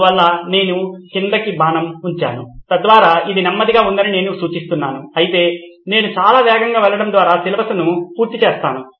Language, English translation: Telugu, So I put a down arrow so that I indicates it’s slow whereas what I am gaining out of going very fast is covered syllabus